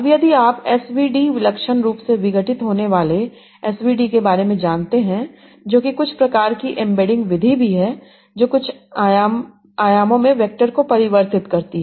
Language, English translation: Hindi, Now if you know about SVD singular value decomposition that is also some sort of embedding method that converts the vectors in some low dimensions